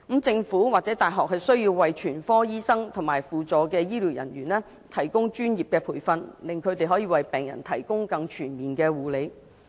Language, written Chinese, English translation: Cantonese, 政府或大學需要為全科醫生及輔助醫療人員提供專業培訓，令他們可為病人提供更全面的護理。, The Government and universities should provide professional training to general practitioners and allied health professionals so that they can provide patients with more comprehensive care